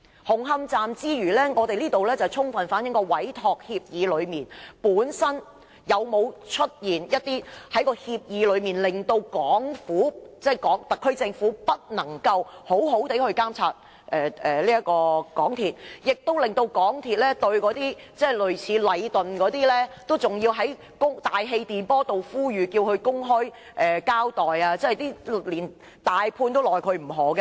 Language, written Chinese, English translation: Cantonese, 紅磡站出事，充分反映在委託協議內，有沒有一些條款令香港特區政府不能好好監察港鐵公司，亦令港鐵公司要在大氣電波向禮頓建築有限公司這一類公司作公開呼籲，要求它公開交代，連大判都拿它沒辦法。, The problems at Hung Hom Station can fully reflect that there are no provisions in the entrustment agreement that enables the HKSAR Government to monitor MTRCL . Moreover MTRCL can only make public appeals through the airwaves to companies like Leighton Contractors Asia Limited urging it to give an account to the public . Even the contractor can do nothing